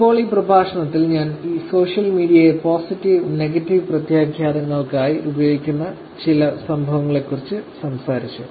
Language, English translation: Malayalam, And now in this lecture I talked about some incidences that where social media is used for both positive and negative implications